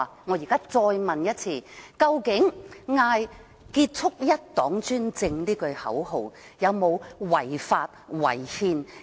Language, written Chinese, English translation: Cantonese, 我再問一次，究竟呼叫"結束一黨專政"口號是否屬違法和違憲？, I ask him once again . Is chanting the end the one - party dictatorship slogan unlawful and unconstitutional?